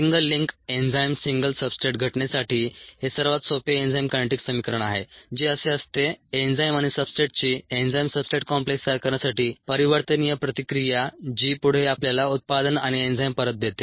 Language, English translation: Marathi, ok, this is the simplest enzyme kinetics equation for a single link enzymes, single substrate case, which goes as enzyme and substrate reacting together in reversible fassion to form the enzyme substrate complex, which further goes to review the product and the enzyme fact